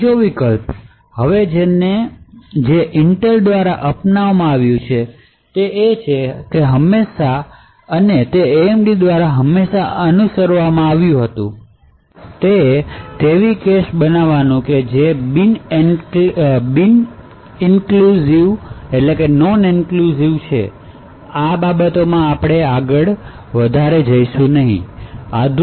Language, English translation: Gujarati, A 3rd countermeasure which is now adopted by Intel and has always been followed by AMD is to create cache memories which are non inclusive, we will not go further into these things